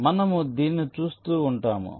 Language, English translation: Telugu, we shall be looking at them